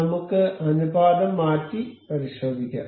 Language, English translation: Malayalam, Let us just change the ratio and check that